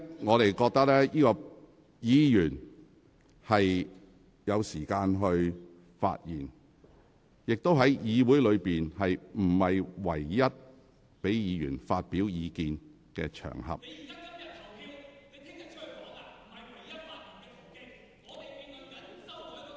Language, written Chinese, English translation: Cantonese, 我認為議員是有時間發言的，而且議會也不是唯一讓議員發表意見的場合。, In my opinion Members do have enough time to speak and this Council is not the only place where they can express their views